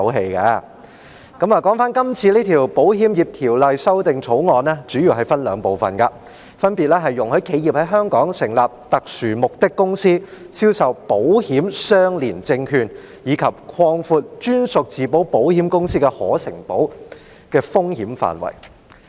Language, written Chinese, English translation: Cantonese, 說回今次這項《2020年保險業條例草案》，它主要分為兩部分：容許企業在香港成立特殊目的公司，銷售保險相連證券，以及擴闊在香港成立的專屬自保保險公司的可承保的風險範圍。, Now let us come back to this Insurance Amendment Bill 2020 the Bill . The Bill can be divided into two main parts allowing enterprises to set up special purpose vehicle companies in Hong Kong for the sale of insurance - linked securities ILS and expanding the scope of insurable risks of captive insurers set up in Hong Kong